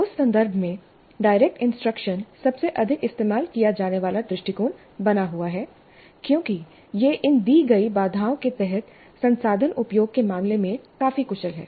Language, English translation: Hindi, In that context, direct instruction continues to be the most commonly used approach because it is quite efficient in terms of resource utilization under these given constraints